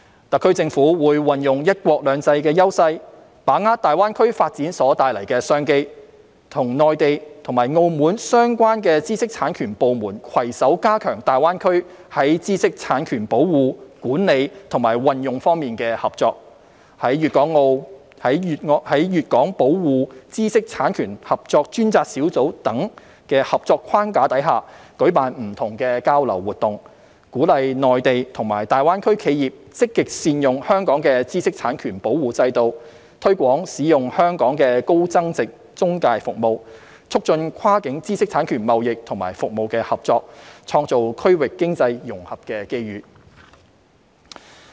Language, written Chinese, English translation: Cantonese, 特區政府會運用"一國兩制"優勢，把握大灣區發展所帶來的商機，與內地和澳門相關知識產權部門攜手加強大灣區在知識產權保護、管理和運用方面的合作，在"粵港保護知識產權合作專責小組"等合作框架下，舉辦不同的交流活動，鼓勵內地及大灣區企業積極善用香港的知識產權保護制度，推廣使用香港的高增值中介服務，促進跨境知識產權貿易及服務的合作，創造區域經濟融合的機遇。, The SAR Government will leverage the advantages under one country two systems and seize the opportunities brought by the GBA development to further reinforce collaboration with the IP authorities of the Mainland and Macao on IP protection management and exploitation in GBA . Under the cooperation frameworks such as the GuangdongHong Kong Expert Group on the Protection of Intellectual Property Rights the Government will organize different exchange activities to encourage Mainland and GBA enterprises to make good use of Hong Kongs IP protection regime and promote the use of the high value - added intermediary services in Hong Kong so as to foster cross - boundary cooperation in IP trading and services for facilitating regional economic integration